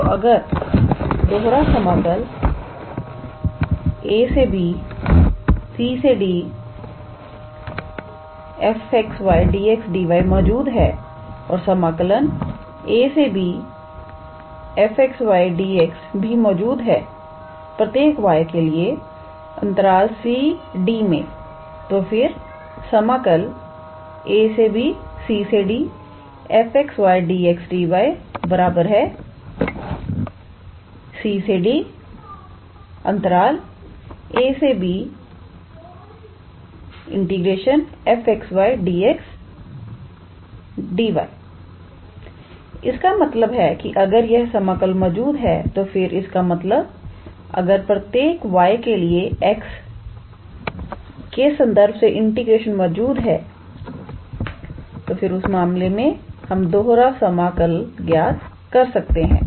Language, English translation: Hindi, So, if the double integral a to b, c to d f x y dx dy exists and integral from a to b f x, y dx also exists for each y in c, d then integral from a to b integral from c to d f x, y dx dy can be written as integral from c to d then integral from a to b f x, y dx and then dy which means that if this integral exists; that means, if for every y if the integration with respect to x exists then in that case which we can evaluate this double integral